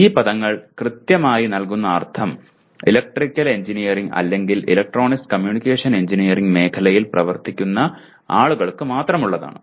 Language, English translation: Malayalam, , these words mean only something specific to people who are working in the area of Electrical Engineering or Electronics Communication Engineering